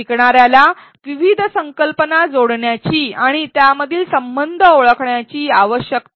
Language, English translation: Marathi, The learner needs to connect various concepts and identify the relationships between them